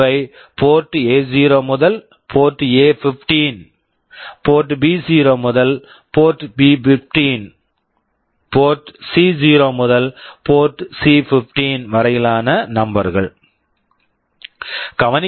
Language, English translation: Tamil, These are number from port A0 to port A15, port B0 to 15, port C0 to 15